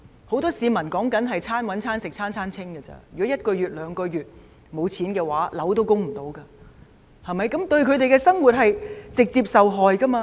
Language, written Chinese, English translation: Cantonese, 很多市民是手停口停的，如果一個月、兩個月也沒收入的話，供樓也可能負擔不來，他們的生活將會直接受害。, Many people work from hand to mouth and if they do not have any income for a month or two they may not have the means to service their mortgage and this would directly take toll on their living